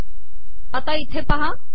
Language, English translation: Marathi, See this here